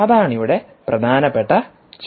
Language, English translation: Malayalam, that's the critical question